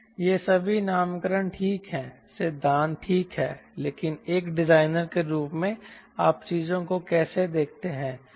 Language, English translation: Hindi, all these nomenclatures are fine, theory is fine, but as a designer, how do you perceive things